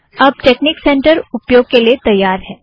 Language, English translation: Hindi, We are now ready to use the texnic center